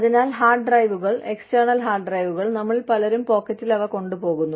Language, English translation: Malayalam, So, hard drives, external hard drives, a lot of us carry, that those, in our pockets